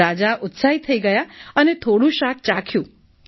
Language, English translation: Gujarati, The king was excited and he tasted a little of the dish